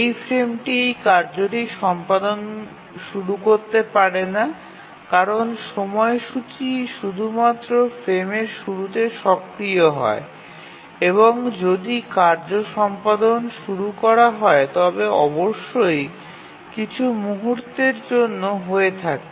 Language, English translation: Bengali, Obviously this frame cannot start execution of this task because the scheduler activities only at the start of the frame and if anything whose execution is to be started must be undertaken at this point